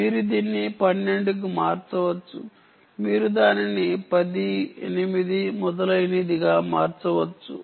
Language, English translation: Telugu, you can change it to twelve, you can change it to ten, eight and so on